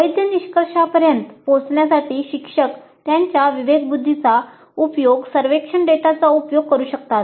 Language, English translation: Marathi, Instructors can use their discretion in making use of the survey data to reach valid conclusions